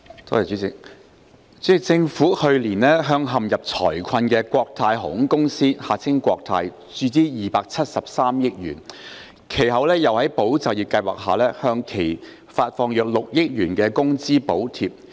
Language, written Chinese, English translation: Cantonese, 主席，政府去年向陷入財困的國泰航空有限公司注資273億元，其後又在"保就業"計劃下向其發放約6億元工資補貼。, President last year the Government injected 27.3 billion into Cathay Pacific Airways Limited CX which had fallen into financial difficulty and later disbursed around 0.6 billion of wage subsidies to CX under the Employment Support Scheme